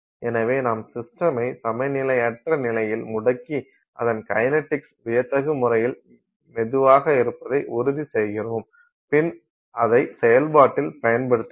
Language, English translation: Tamil, So, we just freeze the system in the non equilibrium state and ensure that the kinetics has been no slowed down dramatically and we use it in that process